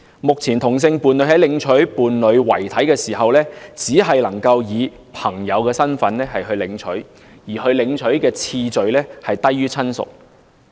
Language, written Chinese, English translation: Cantonese, 目前同性伴侶在領取伴侶遺體時，只能以朋友身份領取，領回次序低於親屬。, At present homosexual people can only collect their partners dead bodies in the capacity of friends with a priority lower than that given to relatives